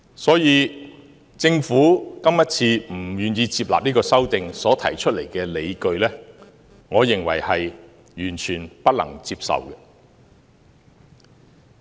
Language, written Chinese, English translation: Cantonese, 所以，政府今次不願意接納這項修訂所提出的理據，我認為是完全不能接受的。, Thus I think the explanation given by the Government for not accepting the proposal is totally unacceptable